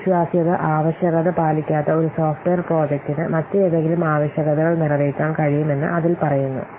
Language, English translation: Malayalam, It says that a software project that does not have to meet a reliability requirement can meet any other requirement